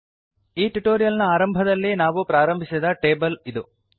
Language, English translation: Kannada, So this was the table that we started with at the beginning of this tutorial